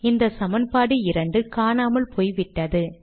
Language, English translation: Tamil, This equation 2 is gone, but you still have this three